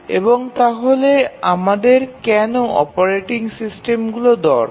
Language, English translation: Bengali, And then why do we need a operating system